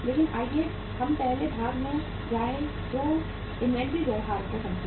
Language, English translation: Hindi, But let us first move to the next part that is the understand the inventory behaviour